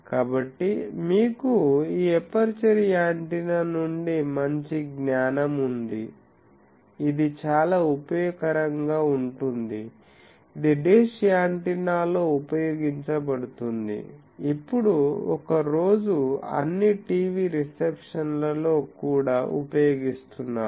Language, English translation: Telugu, So, you have a fairly good amount of knowledge from this another antenna aperture antenna, that is very useful that is dish antenna which is used in, now a day all the even TV receptions